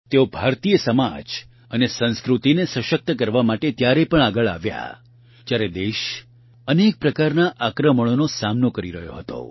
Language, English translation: Gujarati, She came forward to strengthen Indian society and culture when the country was facing many types of invasions